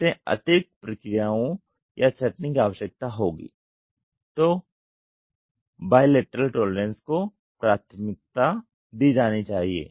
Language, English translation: Hindi, Additional processing or sortation will be required, bilateral tolerance should be preferred